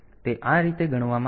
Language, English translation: Gujarati, So, it is calculated in this fashion